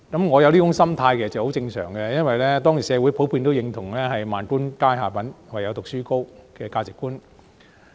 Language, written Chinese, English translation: Cantonese, 我有這種心態其實很正常，因為當時社會普遍認同"萬般皆下品，唯有讀書高"的價值觀。, It was perfectly normal for me to have this mindset for members of the community then generally upheld the belief that everything else is low - grade; only study is above all